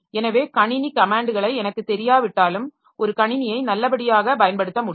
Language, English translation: Tamil, So, even if I do not know the system commands, so I'll be able to use the system to a good extent